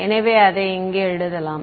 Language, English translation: Tamil, So, let us write it down over here